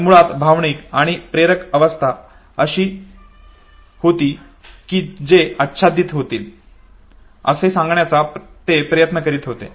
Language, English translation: Marathi, But basically emotional and motivational states he was trying to propose that the overlap